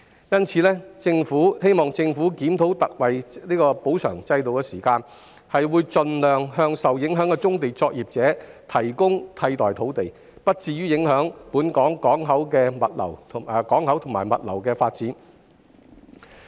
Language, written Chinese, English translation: Cantonese, 因此，我們希望政府檢討特惠補償制度，並盡量為受影響的棕地作業者提供替代土地，以減低對本港港口及物流業發展的影響。, We thus hope that the Government will review the ex - gratia compensation system and provide alternative sites for affected brownfield operators as far as possible so as to minimize the impact on the port and logistics development in Hong Kong